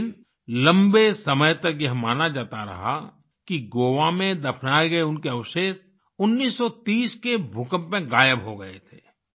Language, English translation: Hindi, But, for a long time it was believed that her remains buried in Goa were lost in the earthquake of 1930